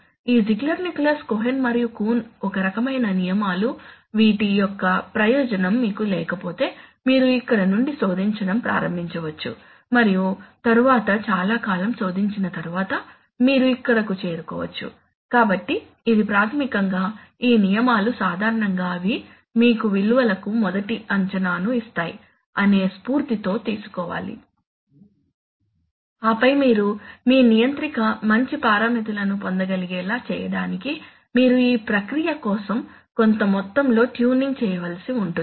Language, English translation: Telugu, Well if you if you do not have the benefit of this rule which is given by this Ziegler Nichols Cohen and Coon a kind of rules then you may search start search from here and then after long amount of search you may reach here, so it is basically, these rules should be treat taken in that spirit that they generally give you a good first guess for the values and then you have to, you may have to do some amount of tuning to actually be able to get these real good parameters, controller parameters for your process right